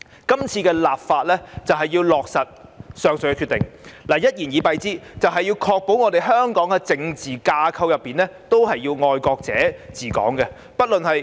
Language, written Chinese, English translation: Cantonese, 今次的立法是要落實上述的決定；一言以蔽之，是要確保香港的政治架構內全是"愛國者治港"。, This present legislative exercise seeks to implement the aforesaid decision; in a nutshell it is to ensure that the principle of patriots administering Hong Kong is fully implemented in the political structure of Hong Kong